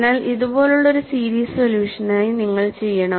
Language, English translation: Malayalam, So, you need to go for a series solution like this